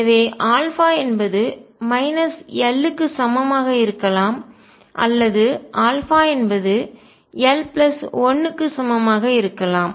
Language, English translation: Tamil, So, alpha could be either equal to minus l or alpha could be equal to l plus 1